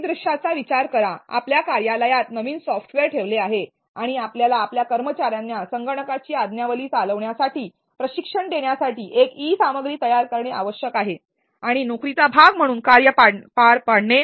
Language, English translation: Marathi, Consider scenario where are a new software has been put in your office and you need to create an e content to train your employees to operate the software and perform tasks as a part of their job